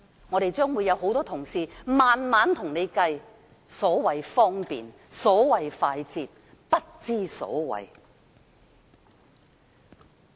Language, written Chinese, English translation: Cantonese, 我們這邊會有多位同事向政府娓娓數算所謂的"方便快捷"是如何不知所謂。, Many colleagues on our side will explain in detail to the Government why the so - called convenience and speediness makes no sense at all